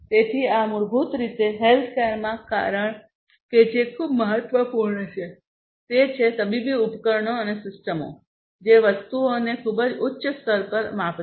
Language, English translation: Gujarati, So, these basically you know in healthcare as you know that what is very important is to have medical devices and systems, which will measure things at a very high level of accuracy